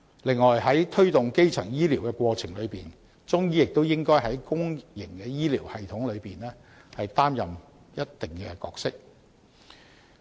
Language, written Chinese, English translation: Cantonese, 此外，在推動基層醫療的過程中，中醫亦應在公營醫療系統中擔當一定角色。, Furthermore Chinese medicine should also play a part in the public medical system in the course of promoting primary health care